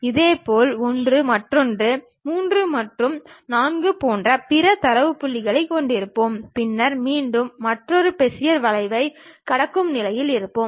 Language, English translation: Tamil, Similarly, we will be having other data points like one perhaps, two at bottom three and four then again we will be in a position to pass another Bezier curve